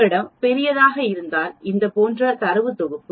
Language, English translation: Tamil, If you have a large data set like this